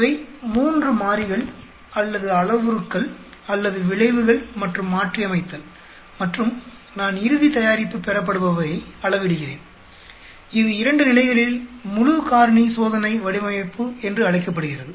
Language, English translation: Tamil, These are the three variables or parameters or f h and modifying and I am measuring the final product yield, this is called a full factorial experimental design at 2 levels